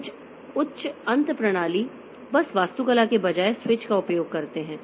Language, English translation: Hindi, Some high end systems they use switch rather than bus architecture